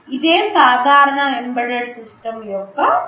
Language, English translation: Telugu, This is a general schematic of an embedded system